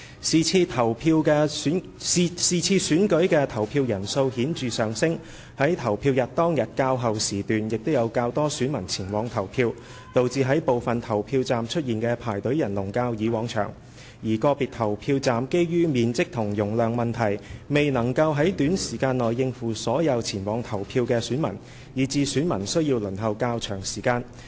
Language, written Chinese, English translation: Cantonese, 是次選舉的投票人數顯著上升，在投票日當天較後時段亦有較多選民前往投票，導致在部分投票站出現的排隊人龍較以往長，而個別投票站基於面積和容量問題，未能於短時間內應付所有前往投票的選民，以致選民需要輪候較長時間。, As the voter turnout was notably higher in this election coupled with the fact that there were relatively more electors casting their votes at later hours on the polling day the queues formed at some polling stations were longer than those in the past elections . Besides some polling stations could not cope with all electors who came to vote within a short period of time due to their size and capacity and resulted in longer waiting time for electors